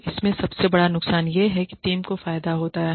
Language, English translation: Hindi, So, the biggest disadvantage in this is that the team gets benefited